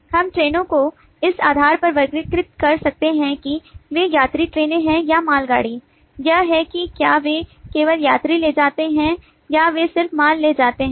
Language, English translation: Hindi, we can classify the trains based on whether they are passenger trains or goods train, that is, whether they just carry passenger or they just carry goods